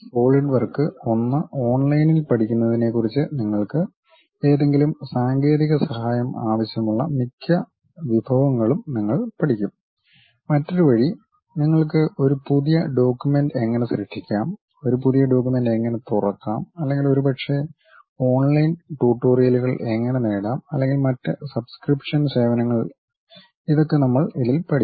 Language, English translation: Malayalam, And most of the resources you require any technical help regarding learning Solidworks one on online you will learn, other way you will have something like how to create a new document, how to open a new document or perhaps how to get online tutorials or perhaps some other subscription services you would like to have these kind of details we will get at this resources